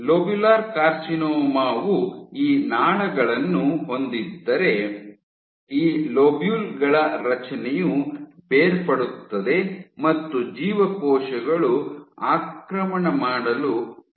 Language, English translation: Kannada, In incase of which if you have these ducts, these lobules the structure falls apart and the cells start to invade